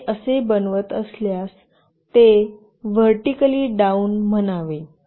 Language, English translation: Marathi, If you make it like this, it should say vertically down